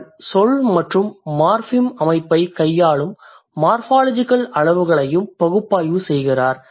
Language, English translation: Tamil, She also analyzes morphological levels which deal with the word and the morphem system